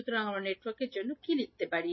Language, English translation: Bengali, So, what we can write for network a